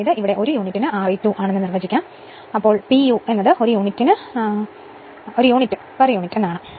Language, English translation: Malayalam, That means, let us define this is R e 2 per unit; that means dimensionless quantity, this p u means per unit right per unit